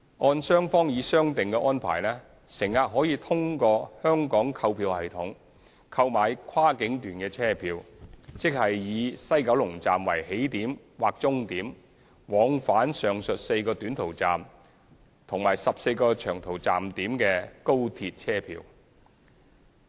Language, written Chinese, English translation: Cantonese, 按雙方已商定的安排，乘客可以通過香港購票系統，購買跨境段車票，即以西九龍站為起點或終點，往返上述4個短途站點和14個長途站點的高鐵車票。, According to the arrangement agreed by both sides through the Hong Kong ticketing system passengers may buy cross boundary journey tickets viz . tickets for high - speed trains that start or terminate at WKS and run to or from the aforesaid four short haul stations or 14 long haul stations